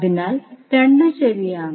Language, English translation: Malayalam, So, both are correct